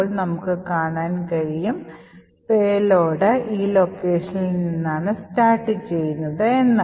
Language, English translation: Malayalam, Then we would see that the payload is actually present starting from this location